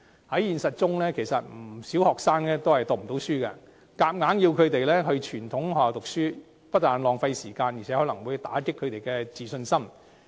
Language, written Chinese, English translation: Cantonese, 在現實中，其實不少學生也讀不成書，硬要他們到傳統學校就讀，不但浪費時間，更可能會打擊其自信心。, In reality many students actually find it hard to pursue academic studies . If they are forced to study in traditional schools this will be wasting their time and may even lower their self - confidence